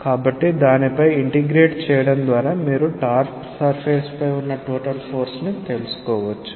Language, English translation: Telugu, So, integrating over that you can find out the total force on the top surface